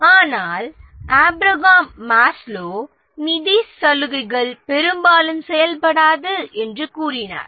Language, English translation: Tamil, But Abraham Maslow, he said that financial incentives often do not work